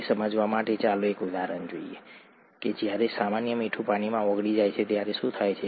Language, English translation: Gujarati, To understand that, let us look at an example of what happens when common salt dissolves in water